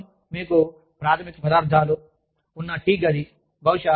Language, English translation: Telugu, Just a tea room, where you have basic materials, for tea